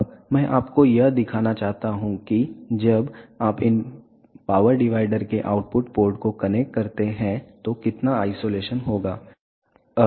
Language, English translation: Hindi, Now, I want to show you that when you connect the output ports of these power divider how much will be the isolation